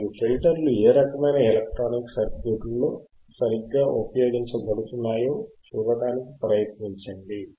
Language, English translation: Telugu, Right aAnd try to see in which kind of electronic circuits the filters are used right